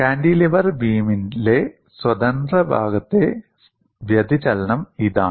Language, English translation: Malayalam, This is a free end deflection of a cantilever beam